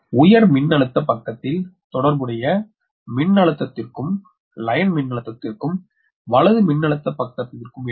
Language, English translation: Tamil, there is no phase shift between the corresponding line voltage on the high voltage side and the low voltage side